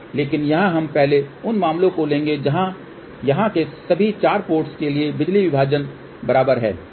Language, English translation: Hindi, But here we will first take the cases where the power divisions from here to all the 4 ports are equal